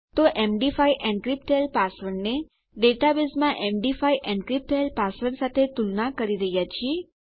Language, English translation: Gujarati, So we are comparing an md5 encrypted password to an md5 encrypted password in our database